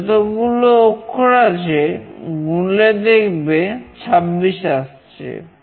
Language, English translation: Bengali, The total characters if you count is 26